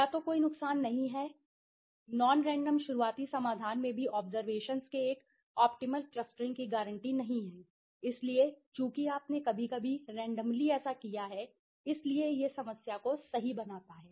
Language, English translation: Hindi, Either there is a disadvantage, yes, even in the non random starting solution does not guarantee an optimal clustering of observations, so since you have done a sometimes the randomly you have done it, so it creates the problem right